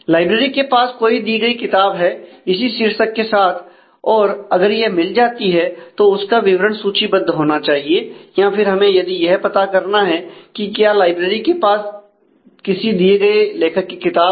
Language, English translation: Hindi, If the library has a given book with a given title and if it is found then the details of those should be listed or we need to check if library has a book given it is author